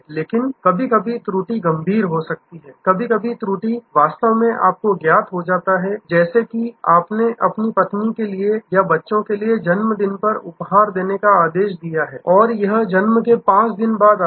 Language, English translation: Hindi, But, sometimes the lapse can be severe, sometimes the lapse can actually you know like if you have ordered birthday gift for your wife or for your children and it arrives 5 days after the birth day